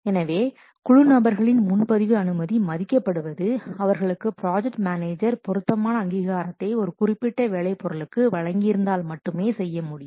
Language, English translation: Tamil, So, a reserve request by a team member is honored only if the appropriate authorization has been given by the project manager to that member for that specific work product